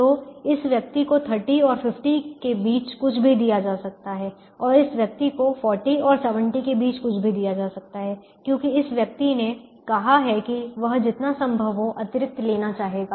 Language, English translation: Hindi, and this person can be given anything between forty and seventy, because this person has said that he or she would like to take as much extra as possible